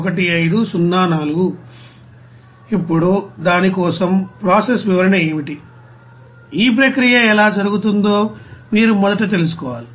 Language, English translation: Telugu, Now what is the process description for that you have to first of all know that how this process is going on